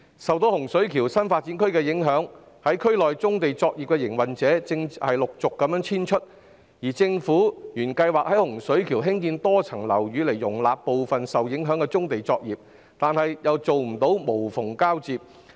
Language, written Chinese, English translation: Cantonese, 受洪水橋新發展區的工程影響，區內的棕地作業營運者正陸續遷出，而政府原計劃在洪水橋興建多層樓宇以容納部分受影響的棕地作業，卻未能做到無縫交接。, Affected by the works of the Hung Shui Kiu New Development Area brownfield operators in the area are gradually moving out . The Government originally planned to build multi - storey buildings in Hung Shui Kiu to accommodate some of the affected brownfield operations but it failed to effect a seamless transition